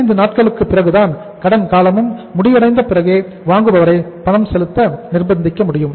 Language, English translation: Tamil, Only after 45 days the buyer can be compelled to make the payment as the credit period has come to an end